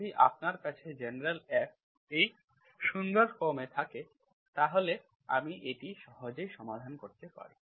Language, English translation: Bengali, If you have in these nice forms, if you have, general F, if it is in this nice form, I can easily solve